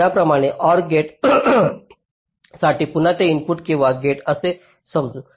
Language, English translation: Marathi, similarly, for an or gate, lets say again: ah, an, this is an input or gate